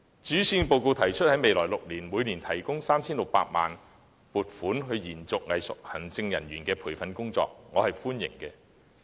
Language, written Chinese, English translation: Cantonese, 對於施政報告提出在未來6年，每年撥款 3,600 萬元為作延續藝術行政人員培訓工作之用，我表示歡迎。, I welcome the Governments decision of providing a yearly funding of 36 million in the coming six years for continuing the training scheme for arts administrators